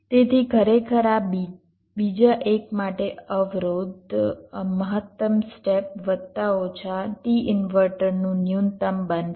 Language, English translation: Gujarati, so actually, for this second one, the constrained will become max step plus minus minimum of t inverter